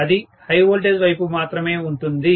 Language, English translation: Telugu, That is only present in the high voltage side